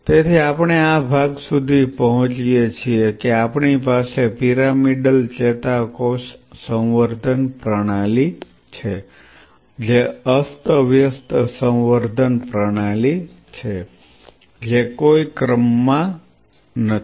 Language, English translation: Gujarati, So, we reach this part that we have a pyramidal neuron culture system, which a random culture system is no as such order or anything